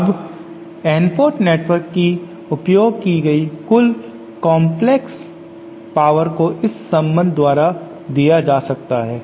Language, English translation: Hindi, Now the total complex power decipated by an N port network can be given by this relationship